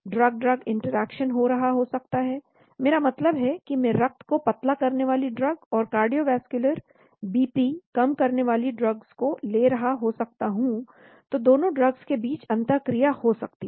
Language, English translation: Hindi, Drug drug interaction could be happening, I mean I may be taking a drug for a blood thinning and the cardiovascular BP lowering drugs, so there could be an interaction between the 2 drugs